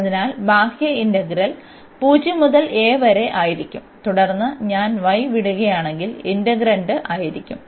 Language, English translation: Malayalam, So, the outer integral will be 0 to a, and then the integrand which is if I leave y